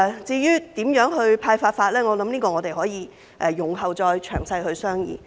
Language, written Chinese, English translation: Cantonese, 至於如何派發，我想我們可以容後再詳細商議。, As to how the bags should be distributed I think we can discuss it in detail later